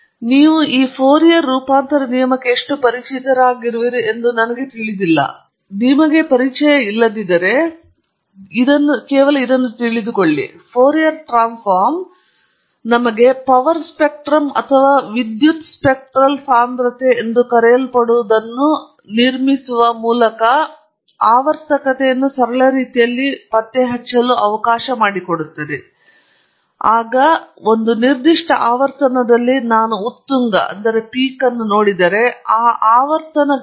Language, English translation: Kannada, I don’t know how many you are familiar, but if you are not, then Fourier Transforms allow us to detect the periodicity in a simple way by constructing what is known as a power spectrum or a power spectral density, where you analyse the contributions of different frequency components within the signal to the total power of the signal